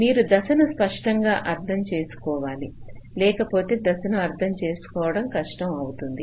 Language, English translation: Telugu, see, you have to clearly understand the steps ah, because otherwise it will be difficult for to understand the steps